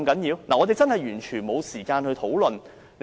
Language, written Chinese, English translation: Cantonese, 議員完全沒有時間進行討論。, Members have absolutely no time for discussion